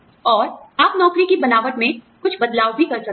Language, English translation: Hindi, And, you could also make, some changes to the job design